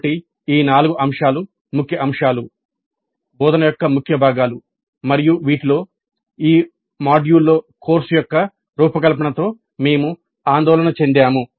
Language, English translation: Telugu, So these four aspects are the key aspects, key components of teaching and in this we were concerned with design of course in this module